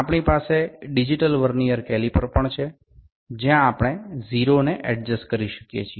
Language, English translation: Bengali, We also have the digital Vernier calipers, where we can adjust the 0